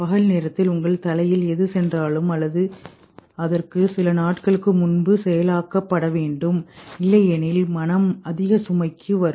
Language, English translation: Tamil, Whatever has gone into your head in the daytime or maybe in days before has to be processed otherwise mind will get into overload